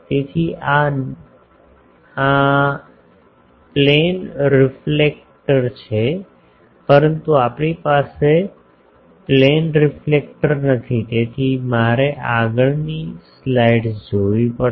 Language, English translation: Gujarati, So, this is plane reflector, but we do not have a plane reflector so, I will have to see some next slide